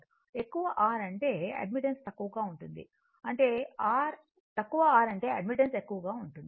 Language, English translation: Telugu, So, if ha high R means admittance is low, low R means admittance is high